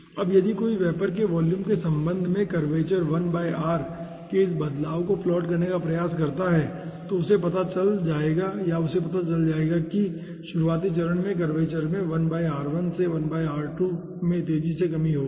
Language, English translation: Hindi, now if 1 ah tries to plot ah that this variation of the curvature 1 by r with respect to the vapor volume, he will be finding out, or she will be finding out, that at the beginning phase there will be a fast reduction of the curvature from 1 by r1 to 1 by r2